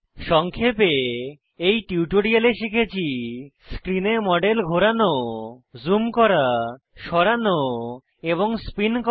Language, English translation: Bengali, In this tutorial,we have learnt to Rotate, zoom, move and spin the model on screen